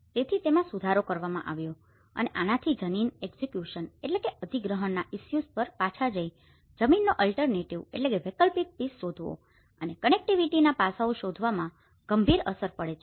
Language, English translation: Gujarati, So it has been amended and this has implication has a serious implication on the land acquisition issues and going back and finding an alternative piece of land and the connectivity aspects